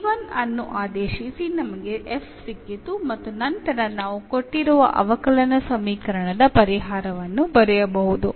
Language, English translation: Kannada, By substituting the c 1 we got f and then we can write down the solution of the given differential equation